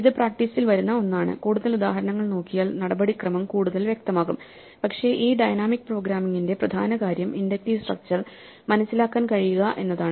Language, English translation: Malayalam, This is something which comes to the practice and by looking at more examples hopefully the procedure become clearer, but the key thing to dynamic programming is to be able to understand the inductive structure